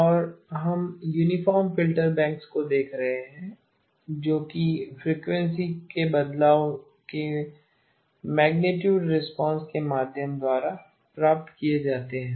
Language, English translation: Hindi, And we are looking at uniform Filter banks that are obtained through the shift of the frequency of the magnitude response